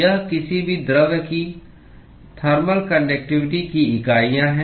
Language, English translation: Hindi, That is the units for the thermal conductivity of any material